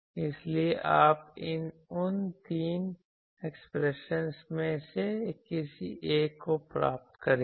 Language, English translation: Hindi, So, you will get either of those 3 expressions